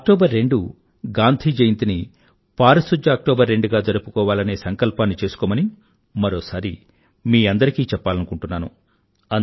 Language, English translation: Telugu, I would like to reiterate, let's resolve to celebrate, 2nd October Gandhi Jayanti this year as Swachch Do Aktoobar, Clean 2nd October